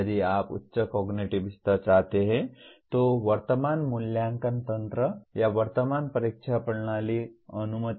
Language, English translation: Hindi, If you want higher cognitive levels, the present assessment mechanism or the present examination system does not allow